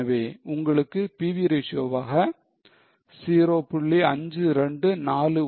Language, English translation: Tamil, So, you will get a PV ratio of 0